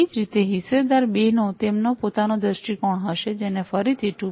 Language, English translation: Gujarati, Similarly, stakeholder 2 would have their own viewpoint, which could be again classified as 2